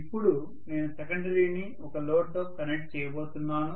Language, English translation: Telugu, Now I am going to connect the secondary to a load, so this is the load, right